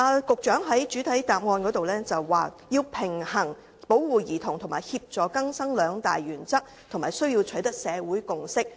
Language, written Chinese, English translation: Cantonese, 局長在主體答覆中表示，要"平衡保護兒童及協助更生兩大原則，並需要取得社會共識"。, In the main reply the Secretary said that a balance must be struck between the two major principles of protecting children and facilitating rehabilitation